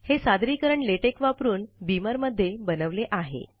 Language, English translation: Marathi, This presentation has been made with beamer, using Latex